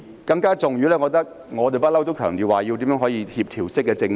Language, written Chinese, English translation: Cantonese, 更重要的是，我們一向強調要推行協調式政治。, More importantly we have all along stressed the implementation of coordinated politics